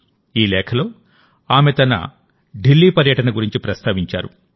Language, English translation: Telugu, In this letter, she has mentioned about her recent visit to Delhi